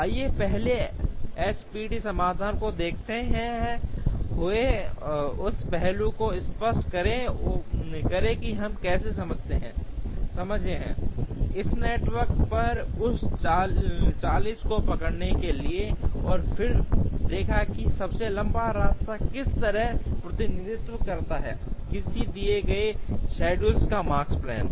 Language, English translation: Hindi, Let us explain that aspect by first looking at the SPT solution showing, how we are able to capture that 40 on this network, and then showing how the longest path represents the Makespan of a given schedule